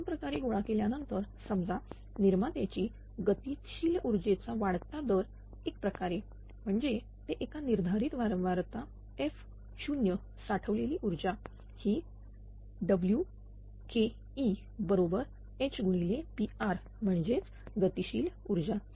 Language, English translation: Marathi, So, that is accumulated in 2 ways suppose first 1 is rate of increase of stored kinetic energy in the generator rotor right, that that is the at at scheduled frequency f 0 the store energy is W Ke 0 is equal to h into P r that is that kinetic energy